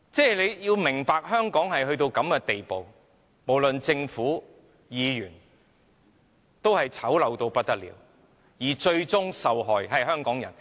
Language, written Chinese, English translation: Cantonese, 大家要明白，香港已經到了這個地步，無論是政府或議員也醜陋到不得了，而最終受害的是香港人。, Everyone should understand that Hong Kong has reached a state where the Government and Members are all extremely ugly where Hong Kong people will be the ultimate sufferers